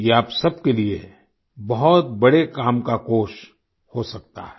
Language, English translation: Hindi, This fund can be of great use for all of you